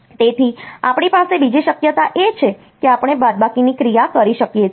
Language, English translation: Gujarati, So, other possibility that we have is that we can have the subtraction operation